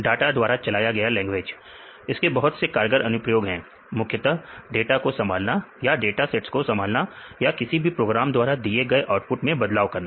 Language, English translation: Hindi, Data driven language, this has a lot of potential applications mainly when we handle data, several data sets or you can manipulate the outputs given from any of these programs